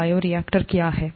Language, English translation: Hindi, “What is a bioreactor”